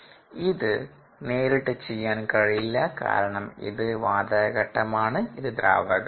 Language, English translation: Malayalam, we cannot do that directly because this is gas phase, this is liquid phase